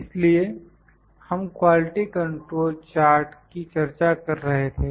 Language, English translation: Hindi, So, we were discussing the Quality Control charts